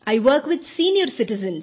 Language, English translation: Hindi, I work with senior citizens